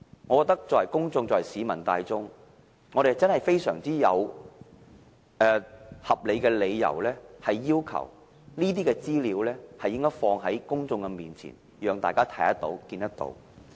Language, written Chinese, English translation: Cantonese, 我認為市民大眾真的有非常合理的理由，要求當局把這些資料放在公眾面前，讓大家看得到。, I consider that there are reasonable grounds for the public to request the Administration to disclose the information publicly so that everyone can see them